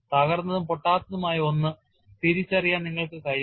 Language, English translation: Malayalam, You will not be able to distinguish between broken and unbroken parts